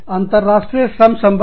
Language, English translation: Hindi, International labor relations